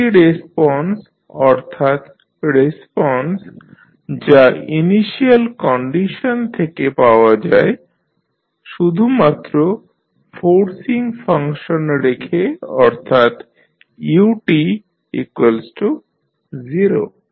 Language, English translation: Bengali, Free response means the response that is excited by the initial conditions only keeping the forcing function that is ut equal to 0